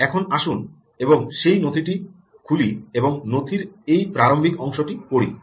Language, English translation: Bengali, so now let us go and open up that document and read the starting part of the document